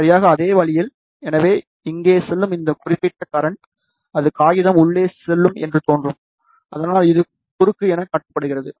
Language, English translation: Tamil, Exactly the same way, so this particular current, which is going up here, it will be appearing going into the paper here, so that is shown as cross